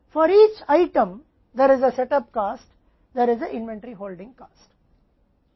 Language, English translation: Hindi, For each item there is a set up cost, there is a inventory holding cost right